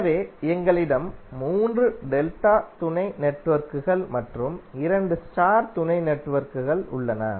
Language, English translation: Tamil, So it means that we have 3 delta sub networks and 2 star sub networks